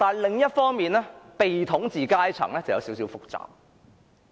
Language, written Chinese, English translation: Cantonese, 另一方面，被統治階層則有點複雜。, On the other hand things are a bit complicated for the ruled